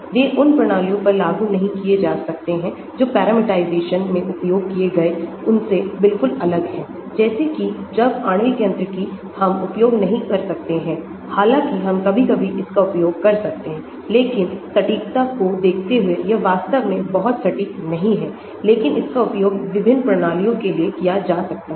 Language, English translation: Hindi, they cannot be applied to systems which are radically different from those used in the parameterization, just like when molecular mechanics we cannot use, although, we can sometimes use it but the accuracy wise they are not really very accurate but it can be used for different systems